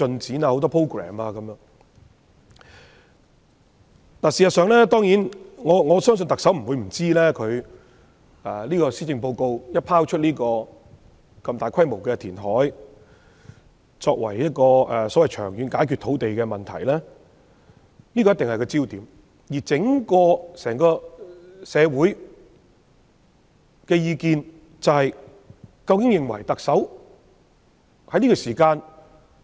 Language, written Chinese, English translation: Cantonese, 事實上，我相信特首不會不知道，她在施政報告內提出如此大規模的填海計劃，作為長遠解決土地問題的方案，這個項目一定會成為焦點。, In fact I believe that the Chief Executive should be aware that after proposing such a large - scale reclamation project in her Policy Address as a long - term solution to the land problem the project will certainly become the focus of attention